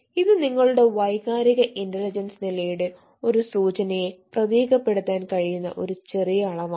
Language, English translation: Malayalam, so, eh na, this small scale can give you an indication of, uh, the level of your emotional intelligence status